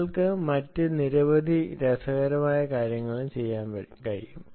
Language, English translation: Malayalam, you can do several other interesting things as well, ah